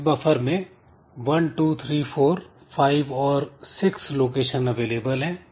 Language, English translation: Hindi, So, so this buffer has got 1, 2, 3, 4, 5, 6 locations